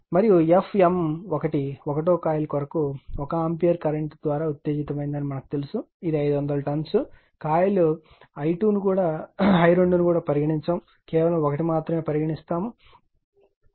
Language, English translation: Telugu, And we know that m 1 F for your for that you coil 1 is excited by 1 ampere current and it is turns is 500 we are not considering coil i 2 right just 1